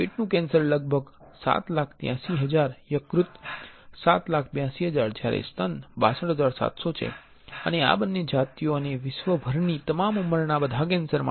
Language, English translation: Gujarati, Stomach cancer about 783000, liver 782000 while breast 627000 and this is for both sexes and all cancer for all ages worldwide